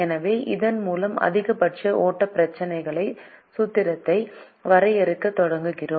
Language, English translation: Tamil, so with this we start defining the formulation for the maximum flow problem